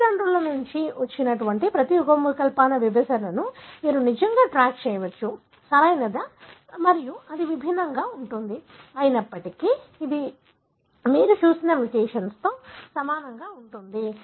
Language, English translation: Telugu, So, you can really track the segregation of each of the alleles from the parents, right and this is vary, although it is very similar to the mutation that you have seen